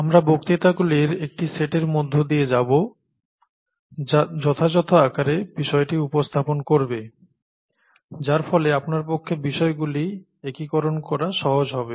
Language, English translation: Bengali, We’ll go through a set of lectures which will cover appropriately sized, so that it’ll be easy for you to assimilate aspects